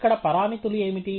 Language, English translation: Telugu, What are the parameters here